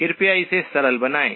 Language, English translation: Hindi, Please simplify this